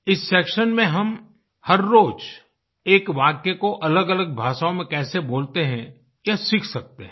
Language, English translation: Hindi, In this section, we can learn how to speak a sentence in different languages every day